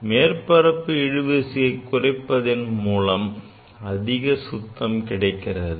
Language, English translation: Tamil, So, reducing the surface tension we can clean the things better, right